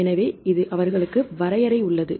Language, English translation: Tamil, So, they has the definition because this is